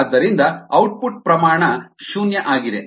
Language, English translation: Kannada, so the output rate is zero